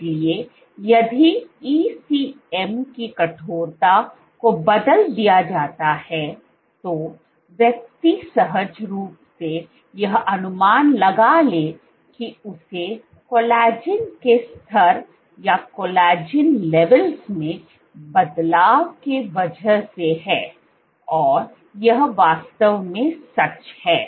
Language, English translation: Hindi, So, if ECM stiffness is changed, one would intuitively guess that it has to do with changes in collagen levels and that is indeed true